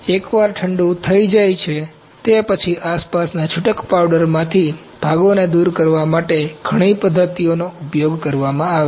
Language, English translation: Gujarati, Once cool down is complete there are several methods used to remove the parts from surrounding loose powder